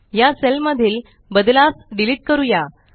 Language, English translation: Marathi, Let us delete the changes in this cell